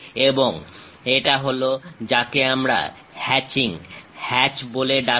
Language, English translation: Bengali, And that is what we call hatching, hatch